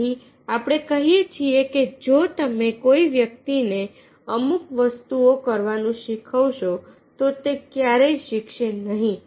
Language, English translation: Gujarati, so therefore we say: if you teach a person to do certain things, he will never learn